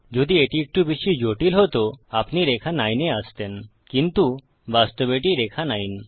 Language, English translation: Bengali, If it were a bit more complex, you came to line 9, but this is in fact line 9